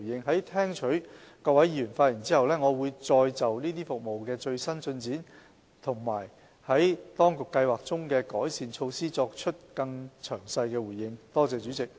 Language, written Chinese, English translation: Cantonese, 在聽取各位議員的發言後，我會再就這些服務的最新進展和政府計劃中的改善措施作出更詳細的回應。, After listening to the speeches of Honourable Members I will give a more detailed response to the latest development of these services and the improvement measures being planned by the Government